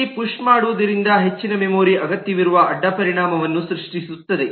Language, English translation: Kannada, push here as well will create a side effect that more memory is required